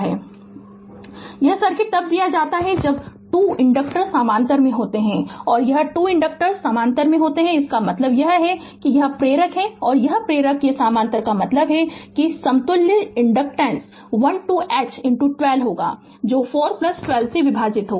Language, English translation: Hindi, This is the circuit is given when 2 inductors are there in parallel right so and these 2 inductors are in parallel means that this inductor this inductor and this inductor these are parallel means that equivalent inductance will be 12 H into 12 divided by 4 plus 12 right